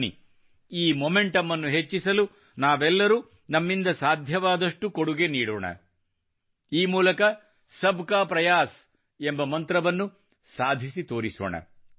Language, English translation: Kannada, Come, let all us countrymen strive to further this momentum as much as we can…contributing whatever we can…let us transform the mantra of 'Sabka Prayas' into reality